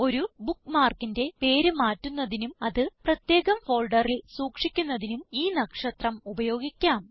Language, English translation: Malayalam, You can also use the star to change the name of a bookmark and store it in a different folder